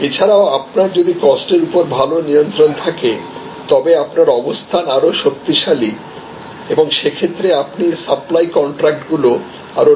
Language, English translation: Bengali, So, also you are, if you have a better cost control then you have a stronger position and therefore, you are able to negotiate longer supply contacts